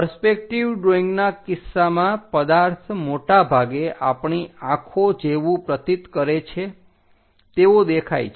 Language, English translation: Gujarati, In the case of perspective drawing, the object more like it looks more like what our eyes perceive